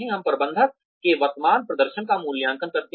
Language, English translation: Hindi, We appraise the manager's current performance